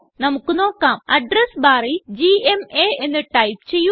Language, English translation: Malayalam, Lets go back to the address bar and type gma